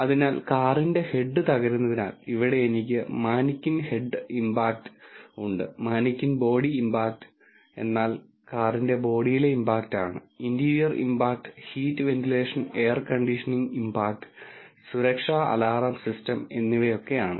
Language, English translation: Malayalam, So, I have the manikin head impact which is at what impact the head of the car crashes, the manikin body impact, the impact on the body of the car, the interior impact, the heat ventilation air conditioning impact and the safety alarm system